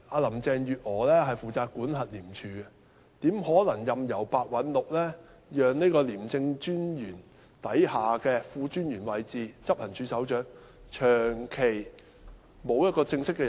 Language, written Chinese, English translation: Cantonese, 林鄭月娥負責管轄廉政公署，她怎可能任由白韞六讓廉政專員下的副專員位置，即執行處首長，長期沒有人正式擔任？, Carrie LAM is responsible for supervising the Independent Commission Against Corruption ICAC . How can she possibly allow Simon PEH to let the post of Deputy Commissioner under the ICAC Commissioner ie . Head of Operations be not substantively filled for such a long time?